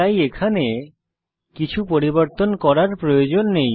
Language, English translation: Bengali, So there is no need to change anything here